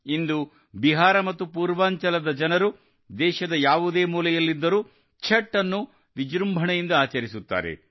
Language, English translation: Kannada, Today, wherever the people of Bihar and Purvanchal are in any corner of the country, Chhath is being celebrated with great pomp